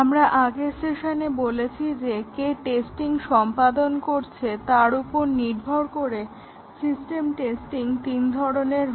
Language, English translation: Bengali, Actually we had said so far, in the last session that there are three types of system testing, depending on who carries out the testing